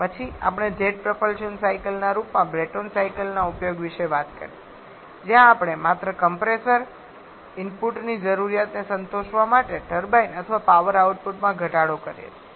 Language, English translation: Gujarati, Then we talked about the application of Brayton cycle in the form of jet propulsion cycle where we curtail the turbine or power output